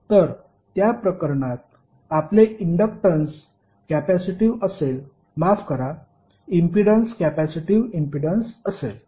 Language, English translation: Marathi, So in that case your inductance would be capacitive sorry the impedance would be capacitive impedance